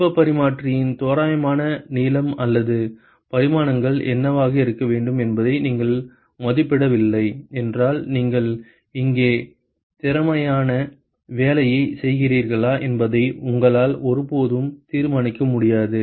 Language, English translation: Tamil, If you do not estimate what should be the approximate length or the dimensions of the heat exchanger, you would never be able to decide whether you are doing an efficient job here